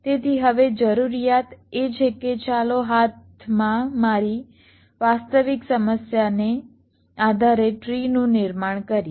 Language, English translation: Gujarati, so now the requirement is that let us construct a tree, depending on my actual problem at hand